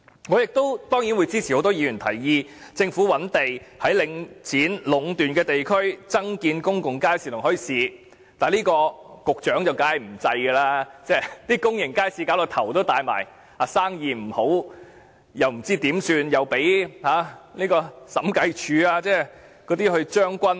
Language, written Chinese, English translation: Cantonese, 我當然支持很多議員的提議，也就是政府應覓地在領展壟斷的地區增建公眾街市和墟市，但局長一定不會採納這建議，公眾街市已令局長苦惱不已，例如生意不好，又不知如何是好，更被審計署"將軍"。, I certainly support the proposal made by many Members for the Government identifying land in districts monopolized by Link REIT to provide more public markets and set up bazaars but the Secretary definitely will not take on board this proposal . Public markets have already been a big headache to the Secretary as there are problems such as poor business and the Secretary is clueless as to what should be done and worse still he was even checkmated by the Audit Commission